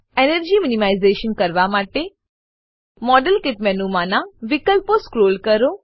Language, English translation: Gujarati, To do Energy minimization: Scroll down the options in the Modelkit menu